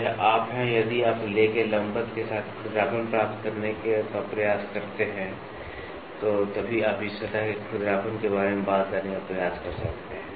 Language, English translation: Hindi, So, this is you if you try to get the roughness along perpendicular to the lay, so then only you can try to talk about the roughness of this surface